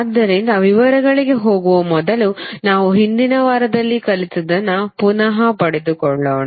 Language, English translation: Kannada, So before going into the details let us try to understand what we learn in the previous week